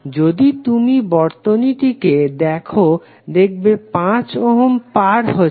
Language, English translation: Bengali, If you see this particular circuit then you will see that this 5 ohm is cutting across